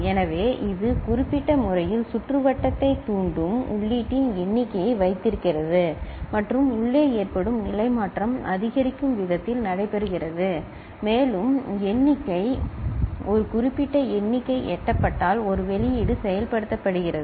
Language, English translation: Tamil, So, it keeps a count of the input that is triggering the circuit in certain manner and internally the state change takes place in such a manner that it gets incremented and when the count, a specific count has been achieved, an output is activated